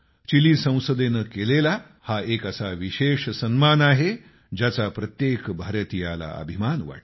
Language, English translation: Marathi, This is a special honour by the Chilean Parliament, which every Indian takes pride in